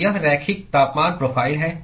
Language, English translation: Hindi, So, it is linear temperature profile